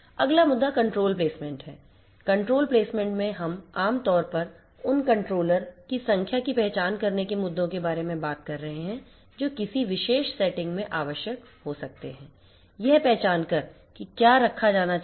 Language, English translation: Hindi, The next issue is the controller placement, in controller placement we are typically talking about issues of dealing with identifying the number of controllers that might be required in a particular setting, identifying what should be there to be placed